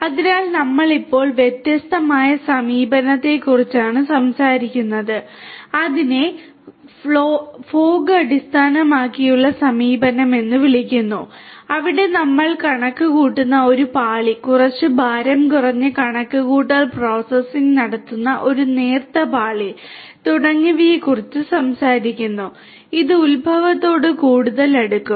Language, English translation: Malayalam, So, we are now talking about a different approach which is called the fog based approach where we are talking about a layer of computation, a thin layer of computation performing, some lightweight computation processing and so on, which will be done closer to the origination of the data